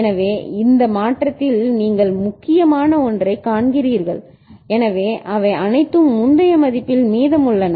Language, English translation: Tamil, So, at this change you see the 1 that are important so all of them are remaining at the previous value